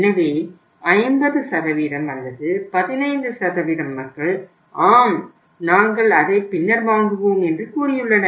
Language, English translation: Tamil, So 50% or 15% of the people have said that yes we will buy it at the later date